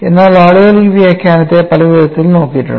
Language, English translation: Malayalam, But people also have looked at this interpretation in many different ways